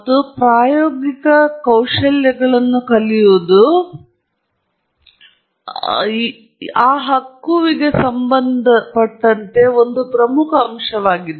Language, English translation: Kannada, And learning experimental skills is a very important aspect associated with that right